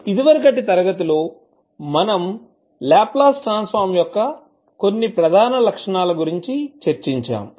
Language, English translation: Telugu, In this session discussed about a various properties of the Laplace transform